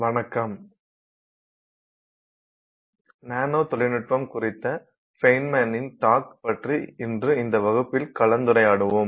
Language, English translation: Tamil, Hello, we will now look at this class today on discussion on fine man's talk on nanotechnology